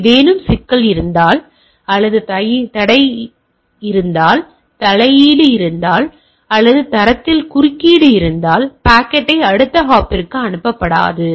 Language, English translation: Tamil, If there is a problem or if there is a intervention or there is a interference with the standard that the packet may not be forwarded to the next hop right